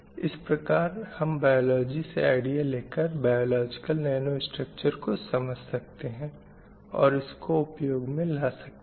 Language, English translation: Hindi, That means you are taking the idea from the biology, understanding the biological nanostructures and you are using it for various applications